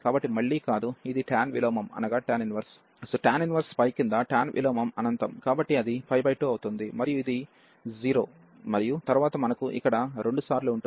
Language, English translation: Telugu, So, again not, so this is this is here tan inverse tan inverse pi by tan inverse infinity, so that will be pi by 2 and this is minus 0 and then we have here 2 times